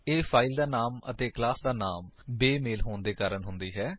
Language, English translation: Punjabi, It happens due to a mismatch of the file name and class name